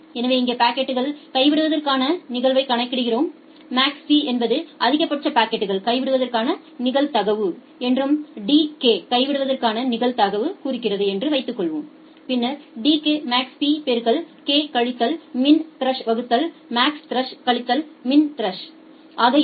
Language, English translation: Tamil, So, we calculate the packet drop probability here say assume that Max p is the maximum packet drop probability and d k denotes the drop probability, then d k will be Max p into k minus MinThresh divided by MaxThresh minus MinThresh